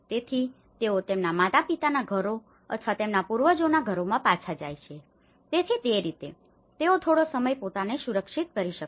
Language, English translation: Gujarati, So, they go back to their parental homes or their ancestral homes, so in that way, they could able to be secured themselves for some time